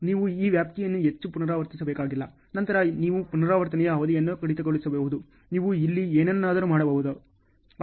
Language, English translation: Kannada, You need not to repeat this much of extent, then you can cut down the duration of repeat, you can do something here ok